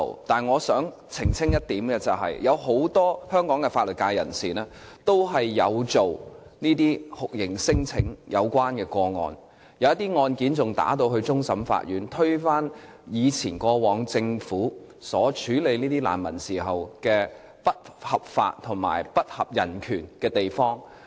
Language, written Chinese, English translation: Cantonese, 但是，我想澄清一點，有很多香港法律界人士都有承接與酷刑聲請有關的個案，有些案件更上訴至終審法院，推翻過往政府處理難民時一些不合法及不合人權的地方。, However I wish to clarify one point . Many legal practitioners in Hong Kong take torture claim - related cases . Some of the cases were appealed to the Court of Final Appeal which reversed the previous judgment and ruled that the way the Government had handled the refugees were illegal and against human rights